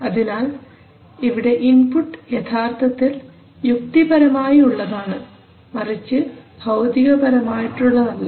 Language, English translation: Malayalam, So its input is actually logical it is not physical input